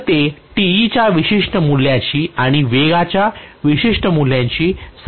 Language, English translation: Marathi, So that corresponds to certain value of Te and certain value of speed